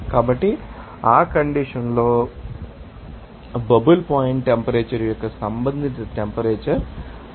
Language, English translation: Telugu, So, at that condition, it will be given it will be their respective temperature of that you know bubble point temperature